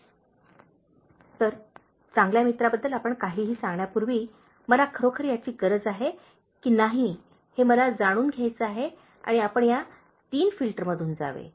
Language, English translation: Marathi, ” So, before you tell anything about my good friend, I want to know whether I really need it and you should pass through these Three Filters